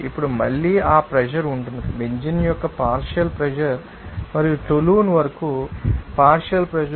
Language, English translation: Telugu, Now, again that pressure will be, do you know that partial pressure of benzene and partial pressure up toluene